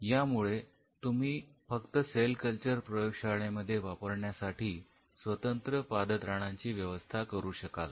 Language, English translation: Marathi, So, you could have very dedicated foot wears which could be used for the cell culture facility itself